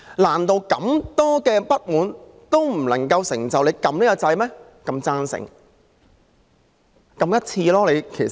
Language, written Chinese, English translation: Cantonese, 難道這眾多不滿，仍未能促使他們按下"贊成"的按鈕嗎？, Is such immense dissatisfaction still unable to urge them to press the Yes button?